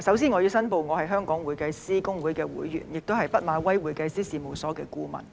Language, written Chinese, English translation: Cantonese, 主席，首先我要申報我是香港會計師公會會員，亦是畢馬威會計師事務所的顧問。, President first of all I have to declare that I am a member of the Hong Kong Institute of Certified Public Accountants HKICPA and a consultant of KPMG